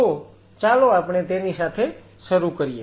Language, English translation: Gujarati, So, let us start with is